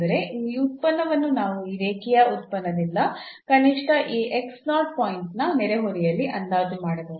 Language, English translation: Kannada, So that means, this function we can approximate by this linear function at least in the neighborhood of this point x naught